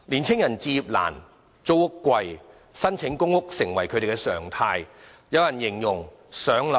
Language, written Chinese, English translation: Cantonese, 青年人置業難、租屋貴，於是申請公屋便成為他們的常態。, As young people have difficulties in buying a flat and have to pay high rent it is a normal norm for them to apply for PRH